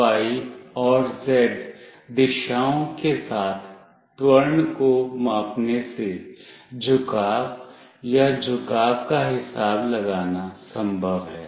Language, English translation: Hindi, By measuring the acceleration along the x, y and z direction, it is possible to calculate the inclination or the tilt